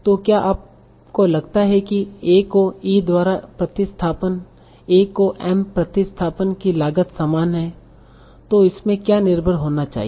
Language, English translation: Hindi, So do you think substituting A by E should have the same cost as substituting A by M